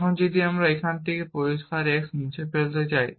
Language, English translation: Bengali, Now, if I want to remove this clear x from here, then I should add it here